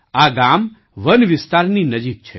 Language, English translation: Gujarati, This village is close to the Forest Area